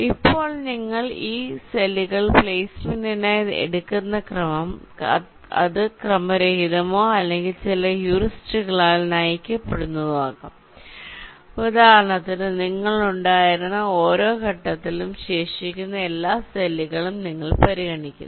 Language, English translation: Malayalam, now, the order in which you take these cells for placement: it can be either random or driven by some heuristics, like, for example, ah mean at every stage you have been, you consider all the remaining cells